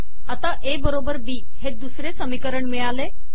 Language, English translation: Marathi, Now I have A equals B as the second equation